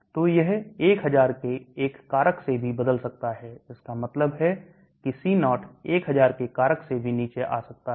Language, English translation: Hindi, So it can change by even a factor of 1000, that means C0 can come down by a factor of 1000 also